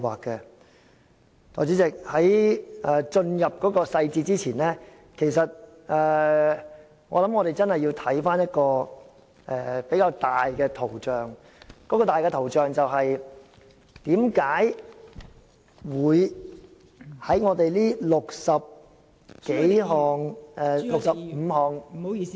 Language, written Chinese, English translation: Cantonese, 代理主席，在進入細節前，我認為我們要看看一個大圖像，該大圖像便是為何在這65項......, Deputy Chairman before going into the details I think we have to see the overall picture and that overall picture is why in these 65 amendments